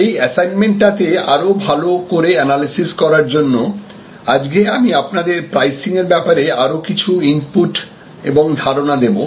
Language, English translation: Bengali, Today, to enable a good analysis with respect to this assignment, I am going to provide some more inputs and thoughts on pricing